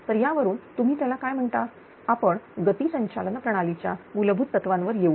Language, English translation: Marathi, So, with this your what you call, we will come to the fundamentals of speed governing system right